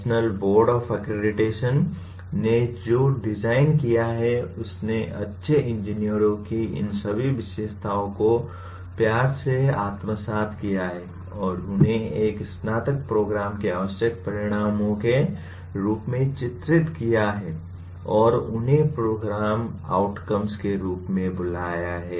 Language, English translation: Hindi, What National Board of Accreditation has designed, has affectively absorbs all these characteristics of a good engineers and characterizes them as required outcomes of an undergraduate programs and calls them as program outcomes